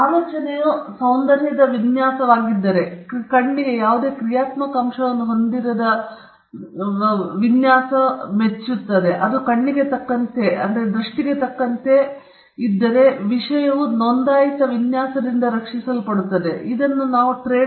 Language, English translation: Kannada, If the idea is an aesthetic design a design that pleases the eye with no functional component to it, it’s just that it pleases the eye – then, we say that subject matter can be protected by a registered design